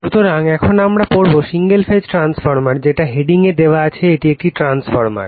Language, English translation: Bengali, So, now, we will study that single Phase Transformer of the headline it is a transformers